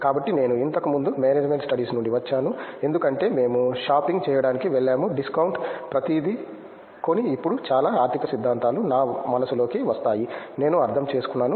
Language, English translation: Telugu, So, since I am from management studies previously like we used to go shopping are discount and go, buy it everything and come and now lot of economic theories come into my mind okay I understand